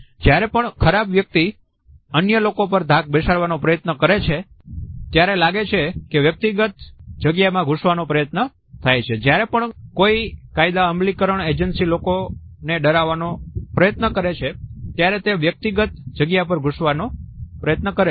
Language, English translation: Gujarati, Whenever bullies try to intimidate others we find that the encroachment of personal space takes place, whenever any law enforcement agency also wants to intimidate people then we find that the encroachment of personal space takes place